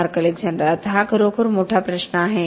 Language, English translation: Marathi, Mark Alexander: Now that is a really big question